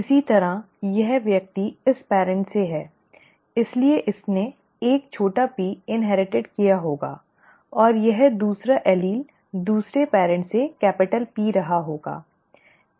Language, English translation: Hindi, Similarly, this person is from this parent therefore must have inherited a small p, and this, the other allele must have been a capital P from the other parent, okay